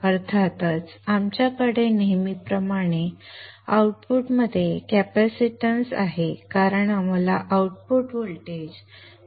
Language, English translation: Marathi, And of course we have a capacitance at the output as usual because we need to filter the output voltage